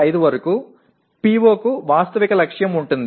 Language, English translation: Telugu, 5 is a quite a realistic target